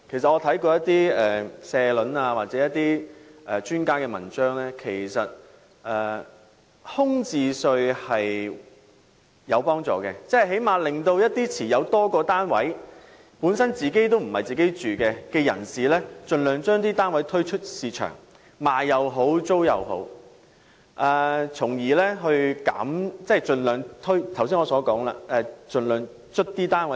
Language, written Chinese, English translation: Cantonese, 我從一些社評或專家文章得知，其實徵收空置稅是有幫助的，因為此舉最低限度會令那些持有多個單位或單位並非作自住用途的業主，盡量將所持單位推出市場出售或出租，從而增加單位的供應量。, I learn from some editorials or expert articles that it may be helpful to impose vacancy tax as it can at least force property owners who have several flats or who own a flat not for self - occupation to put their properties on the market for sale or leasing thereby increasing the supply of housing units